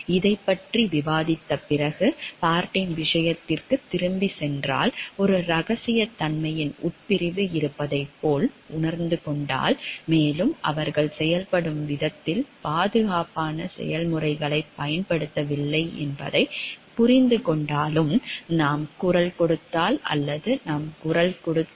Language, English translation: Tamil, After we have discussed this, then if we go back to the case of Bart and we understand like there is a confidentiality clause, and we even if we understand like they are not using safe processes for the way the things are performing should we voice or should we not voice